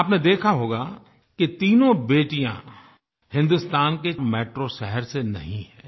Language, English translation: Hindi, You must have noticed that all these three daughters do not hail from metro cities of India